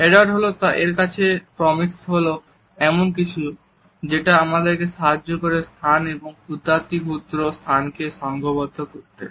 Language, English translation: Bengali, To Edward Hall proxemics was something which helps us to structure the space as well as the micro space